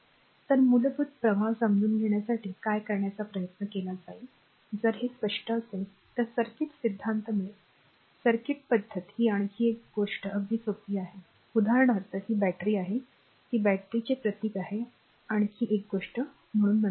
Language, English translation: Marathi, So, what will do, the just tried to understand the basic flow basic understanding if this is clear then you will find circuit theory this your what you call this circuit pattern another thing is a very simple for example, this is a battery, that is a battery symbol another thing so, will come later